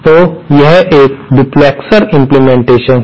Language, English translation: Hindi, So, this is a duplexer implementation